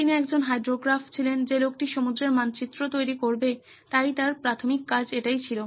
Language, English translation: Bengali, He was a hydrographe the guy who is to map the seas, so his job was primary job was that